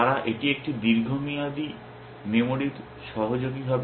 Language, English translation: Bengali, They would associates it is a long term memory